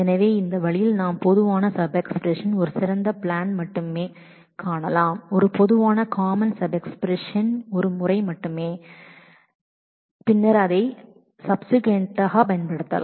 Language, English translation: Tamil, So, by this way we can common sub expressions we may only find the plan for a best plan for a common sub expression only once and then use it subsequently again